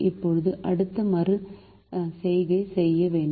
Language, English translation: Tamil, now we have to do the next iteration